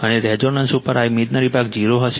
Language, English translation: Gujarati, And at resonance this imaginary part will be 0 right